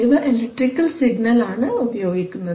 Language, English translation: Malayalam, So that some electrical signal can be generated